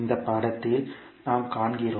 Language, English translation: Tamil, As we see in this figure